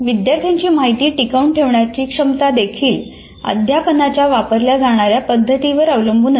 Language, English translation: Marathi, The learner's ability to retain information is also dependent on the type of teaching method that is used